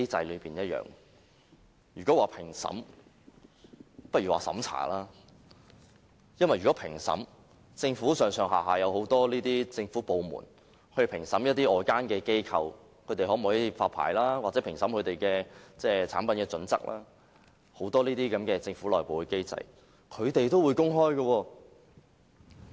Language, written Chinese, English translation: Cantonese, 與其說是評審，倒不如說是審查，因為如果是評審，政府上下有很多政府部門，負責評審外間機構可否發牌，或評審他們的產品標準等，很多這些政府內部機制，也是會公開的。, I think we should actually use the term censoring instead of assessment here . There are many government departments responsible for assessing whether licences should be issued to outside organizations and whether certain products are up to standard . The internal assessment mechanisms of these governments are open